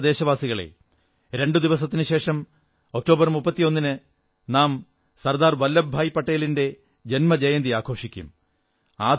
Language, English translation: Malayalam, My dear countrymen, we shall celebrate the birth anniversary of Sardar Vallabhbhai Patel ji, two days from now, on the 31st of October